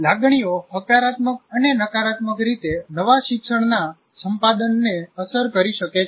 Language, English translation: Gujarati, So emotions can positively and negatively affect the acquisition of new land